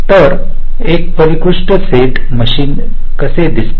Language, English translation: Marathi, so how does a finite set machine look like